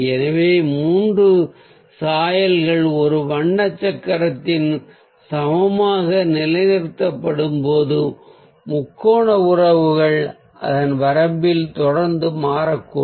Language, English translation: Tamil, so the triad relationships are when three hues are equally positioned on a colour wheel so it may keep on shifting in its range